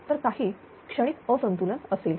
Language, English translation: Marathi, So, some transient imbalance will be there